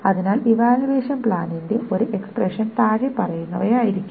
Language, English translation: Malayalam, So an expression of the evaluation plan may be the following